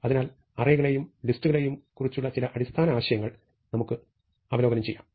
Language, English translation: Malayalam, So, let us just review some basics ideas about arrays and lists